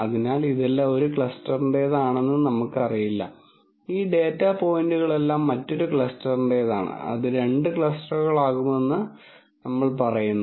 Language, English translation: Malayalam, So, we do not know that this all belong to one cluster, all of these data points belong to another cluster we are just saying that are going to be two clusters that is it